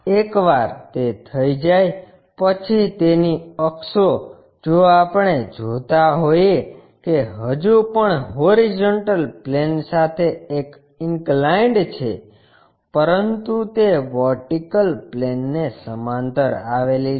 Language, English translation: Gujarati, Once it is done, its axis if we are seeing that is still making an inclination with a horizontal plane, but it is parallel to vertical plane